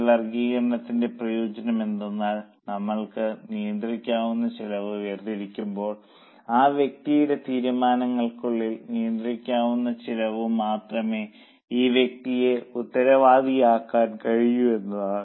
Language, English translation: Malayalam, Now, the advantage of this classification is, when we segregate controllable cost, we can make that particular person responsible only for those costs which are controllable within his or her decisions